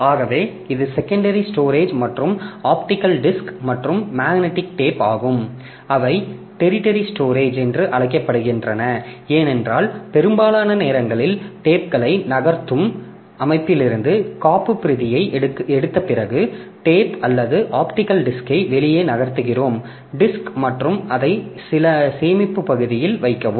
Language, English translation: Tamil, Now on top of this flash so up to this much is the secondary storage and this optical disk and magnetic tape they are called tertiary storage because most of the time after taking the backup from the system we move the takes we move we take out the tape or disc optical disk it on some storage area